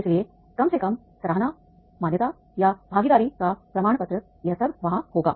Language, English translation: Hindi, So therefore at least appreciation recognition or the certificate of the participation or all this will be there